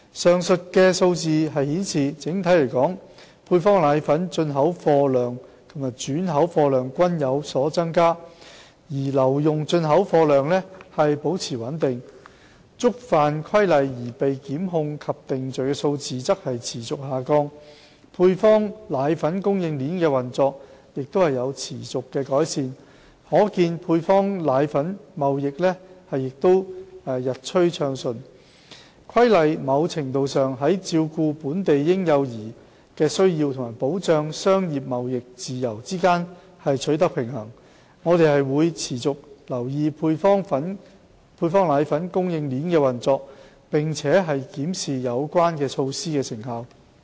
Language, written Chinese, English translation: Cantonese, 上述數字顯示，整體來說配方粉進口貨量及轉口貨量均有所增加，而留用進口貨量保持穩定，觸犯《規例》而被檢控及定罪的數字則持續下降，配方粉供應鏈的運作亦持續改善，可見配方粉貿易日趨暢順，《規例》某程度上在照顧本地嬰幼兒需求及保障商業貿易自由之間取得平衡，我們會持續留意配方粉供應鏈的運作，並檢視有關的措施成效。, The operation of the supply chain of powdered formulae has continued to improve and the trading of powdered formulae has been getting smoother . The Regulation has to a certain extent struck a balance between addressing the needs of local infants and young children and safeguarding free trade and commerce . We will continue to keep in view the operation of the supply chain of powdered formulae and review the effectiveness of the relevant measures